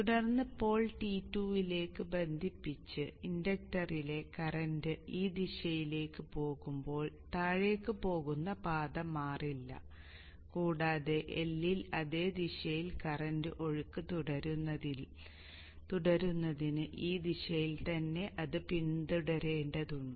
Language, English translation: Malayalam, And then when the pole is connected to T2, the current in the inductor which was going in this direction going down will not change path and it has to follow in this direction to continue to have the current flow in the same direction in the L